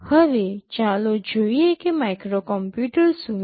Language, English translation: Gujarati, Now, let us see what is a microcomputer